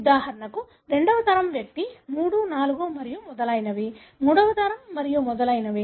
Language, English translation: Telugu, Like for example second generation individual 3, 4 and so on; third generation and so on